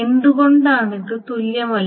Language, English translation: Malayalam, Why is this not equivalent